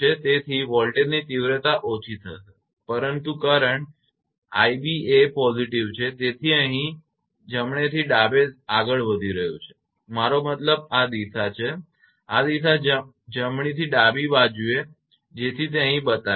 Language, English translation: Gujarati, So, voltage magnitude will reduce, but current that i b is positive, so here it is moving now from right to left I mean this direction; this direction right to left so it is showing here